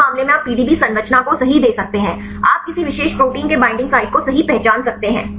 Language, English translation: Hindi, In this case you can give the PDB structure right you can identify the binding sites of any particular protein right